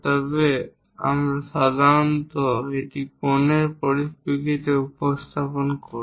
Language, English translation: Bengali, If it is angular information we usually represent it in terms of angles